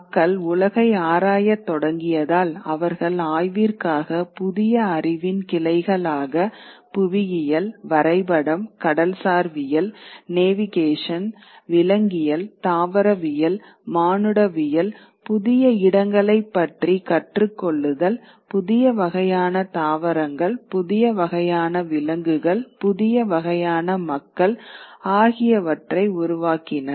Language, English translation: Tamil, And in order to explore, they were creating new branches of knowledge, geography, cartography, oceanography, navigation, geology, botany, anthropology, learning about newer places, new kind of plants, new kind of animals, new kinds of peoples